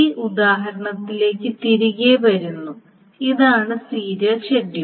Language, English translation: Malayalam, Now coming back to this example, so this is a serial schedule